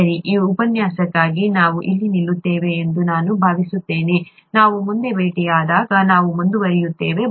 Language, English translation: Kannada, Fine, I think we will stop here for this lecture, we will continue further when we meet next